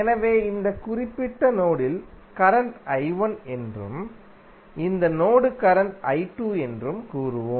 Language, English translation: Tamil, So, let us say that in this particular mesh the current is I 1, in this mesh is current is I 2